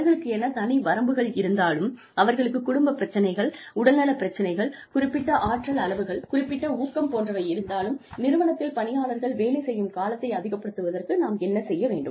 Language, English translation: Tamil, Despite their limitations, as you know, despite their family issues, health issues, energy levels, motivation levels, what should we do, in in order to, enhance their commitment, to the company